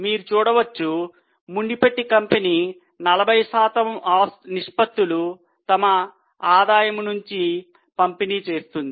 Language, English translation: Telugu, So, you can see earlier company was distributing 40% of their profit